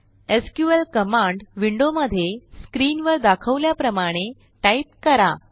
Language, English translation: Marathi, In the SQL command window, let us type as shown in the screen: And execute it